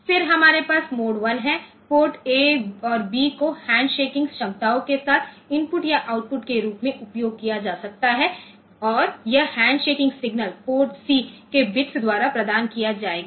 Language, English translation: Hindi, Then, we have mode 1, in mode 1, port A and B can be used as input or output with handshaking capabilities and this handshaking signals will be provided by bits of port C